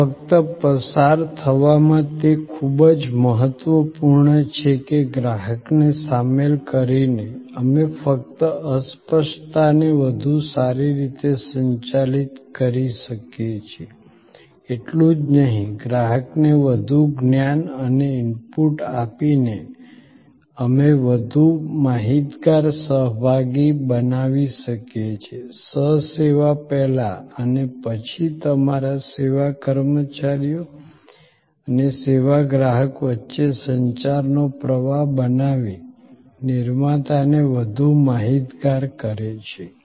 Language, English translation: Gujarati, This was just in a passing it is too important that by involving the customer, not only we can manage the intangibility better, not only by informing the customer giving him more knowledge and input, we can create a more informed participant, more informed co producer by creating a flow of communication between your service personnel and the service consumer before during and after the service